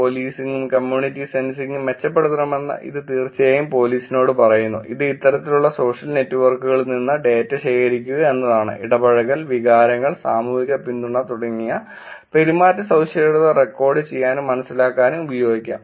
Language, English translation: Malayalam, One it definitely tells police improve policing and community sensing, which is to collect data from these kind of social networks can be used to record and sense behavioral attributes, such as engagement, emotions, social support